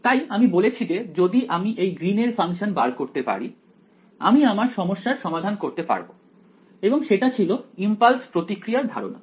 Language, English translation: Bengali, So, I said if I can find out this Green function I can solve this problem right and that was the impulse response idea